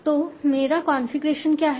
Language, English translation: Hindi, So what is my configuration